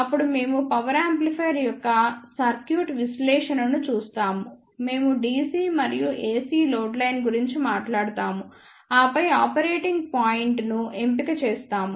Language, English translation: Telugu, Then we will see the circuit analysis of power amplifier we will talk about the DC and AC load line, and then we will see the selection of operating point